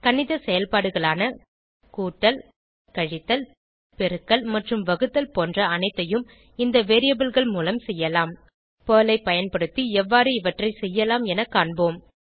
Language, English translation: Tamil, All mathematical operations like addition, subtraction, multiplication, division, can be done on these variables Let us see how we can achieve this using Perl